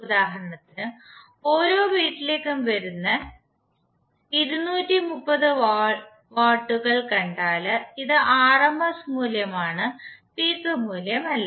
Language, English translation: Malayalam, Say for example if you see to 230 volts which is coming to every household this is rms value now to the peak value